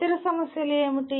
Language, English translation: Telugu, What are the other issues